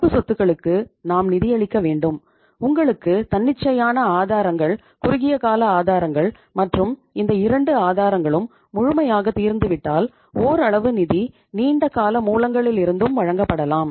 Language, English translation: Tamil, And we to finance those current assets you need the funds which come from the spontaneous sources, short term sources and once these two sources are fully exhausted then partly the funds can be supplied from the long term sources also